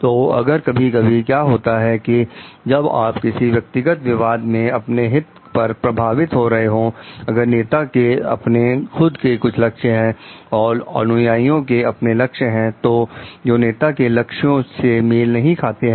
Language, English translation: Hindi, So, if sometimes what happens like when you are talking of conflict of interest, if the leader has his or her individual goals and the followers have their own goals, which may not coincide with the goal of the leader